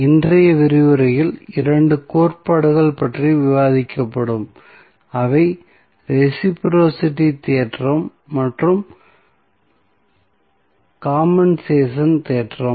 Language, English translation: Tamil, So, in today's lecture will discuss about 2 theorems, those are reciprocity theorem and compensation theorem